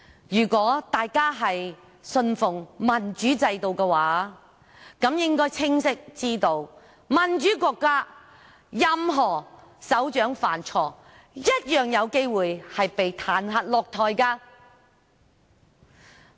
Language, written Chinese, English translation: Cantonese, 如果大家信奉民主制度的話，便應該清楚知道，在民主國家，任何首長犯錯，一樣有機會被彈劾下台。, If we believe in democracy we should know that in a democratic country any head of state who committed a mistake may be impeached and asked to step down